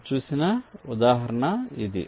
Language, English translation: Telugu, this example you have shown